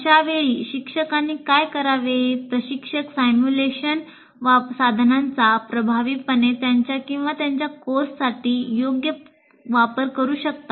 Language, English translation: Marathi, Instructors can effectively make use of simulation tool appropriate to his or her course